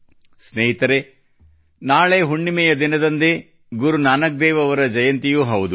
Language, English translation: Kannada, Friends, tomorrow, on the day of the full moon, is also the Prakash Parv of Guru Nanak DevJi